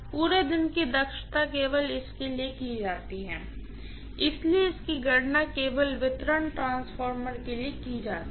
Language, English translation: Hindi, All day efficiency is done only for, so this is calculated only for distribution transformer